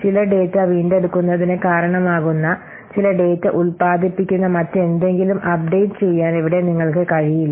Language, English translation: Malayalam, So here you cannot what update anything else only that produces for some data, it results in some data retrieval